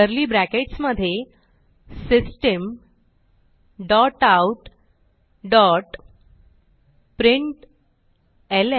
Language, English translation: Marathi, Within curly brackets System dot out dot println